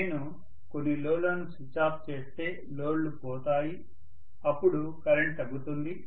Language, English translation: Telugu, If I switch off some of the loads, the loads are gone then the current is going to decrease